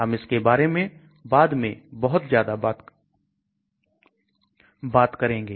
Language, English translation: Hindi, We will talk about this later quite a lot